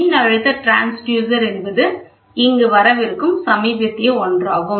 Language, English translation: Tamil, The electrical pressure transducer is the latest one which is coming up here